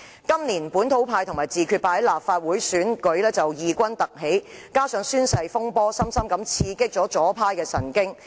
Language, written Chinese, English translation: Cantonese, 今年，本土派和自決派在立法會選舉異軍突起，加上宣誓風波深深刺激左派神經。, This year the localist and self - determination camps have emerged as a new force in the Legislative Council election . In addition the oath - taking saga has struck a nerve with the leftists